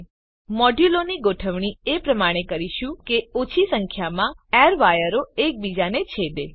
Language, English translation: Gujarati, Now we will arrange the modules such that minimum number of airwires cross each other